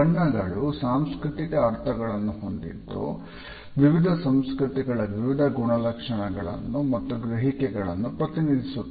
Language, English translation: Kannada, Colors also have cultural meanings and they represent different traits and perceptions in different cultures